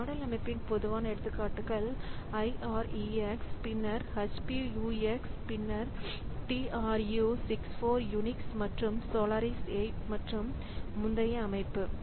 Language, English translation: Tamil, , the typical examples of this type of system is Irix, then HPUX, then 2 64 Unix and Solar is 8 and earlier systems